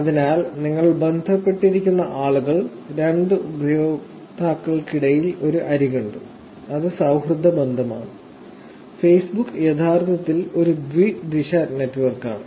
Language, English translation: Malayalam, So, the people that you are connected with and there is an edge between the two users which is the friendship relationship and Facebook is actually a bidirectional network